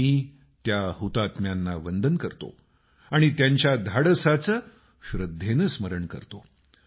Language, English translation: Marathi, I bow to those martyrs and remember their courage with reverence